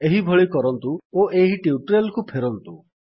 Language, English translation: Odia, Please do so and return back to this tutorial